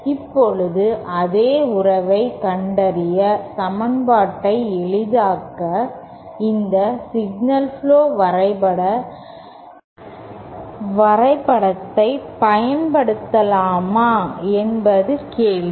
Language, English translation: Tamil, Now the question is can we use this signal flow graph diagram to simplify our equation to find the same relationship